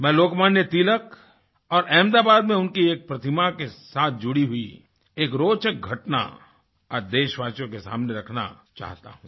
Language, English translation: Hindi, I want to narrate an interesting incident to the countrymen which is connected with Lok Manya Tilak and his statue in Ahmedabad